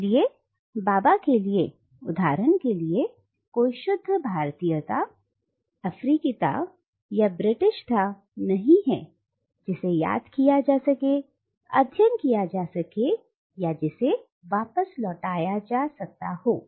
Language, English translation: Hindi, So for Bhabha, there is for instance no pure Indianness or Africanness or Britishness that can be grasped, studied, or even returned too